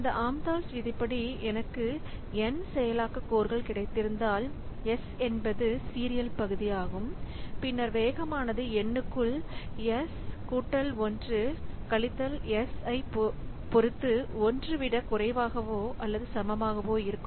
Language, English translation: Tamil, So this amdals law says that if I have got n processing codes and s is the serial portion, then the speed up will be less or equal 1 upon s plus 1 minus s into n